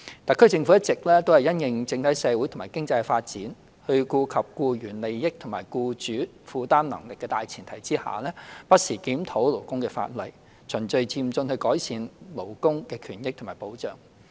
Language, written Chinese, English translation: Cantonese, 特區政府一直因應整體社會及經濟的發展，在顧及僱員利益與僱主負擔能力的大前提下，不時檢討勞工法例，循序漸進地改善勞工權益及保障。, In response to the overall social and economic developments the SAR Government has reviewed labour laws from time to time to gradually improve labour rights benefits and protection on the premise of considering the rights and benefits of employees and the affordability of employers